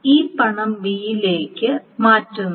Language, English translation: Malayalam, So this money is being transferred to B